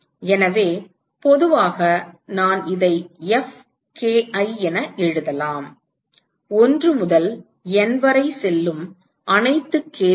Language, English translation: Tamil, So, in general, I can write this as Fki, for all k going from 1 to N